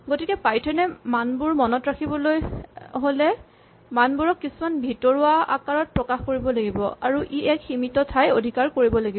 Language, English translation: Assamese, So, when python has to remember values it has to represent this value in some internal form and this has to take a finite amount of space